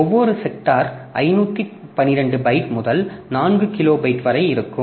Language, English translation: Tamil, Each sector is a 512 byte to 4 kilowatt